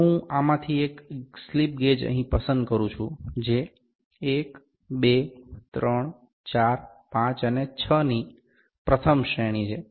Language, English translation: Gujarati, If I pick one of this slip gauges here, which is the first range 1, 2, 3, 4, 5 and 6